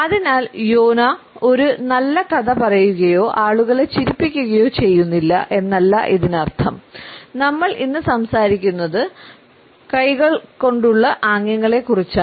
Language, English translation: Malayalam, So, this is not to say that Jonah is not telling a good story or making people laugh, we are actually talking just about hand gesticulations today